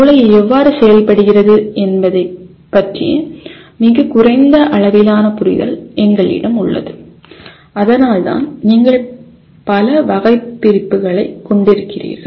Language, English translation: Tamil, We have a very very limited amount of understanding of how the brain functions and that is the reason why you end up having several taxonomies